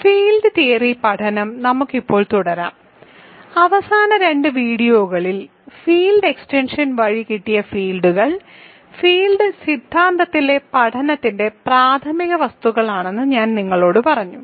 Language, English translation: Malayalam, Let us continue now with Field Theory; in the last two videos we defined, fields we looked at Field Extensions which I told you are the primary objects of study in field theory